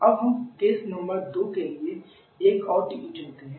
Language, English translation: Hindi, Let us can choose another TE for case number two